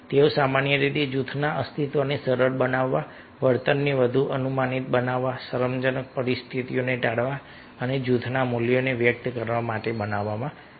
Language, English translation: Gujarati, they are typically created in order to facilitate group survival, make behavior more predictable, avoid embarrassing situations and express the values of group